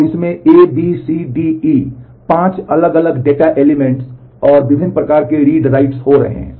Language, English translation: Hindi, And it has A B C D E, 5 different data elements, and variety of read write happening on them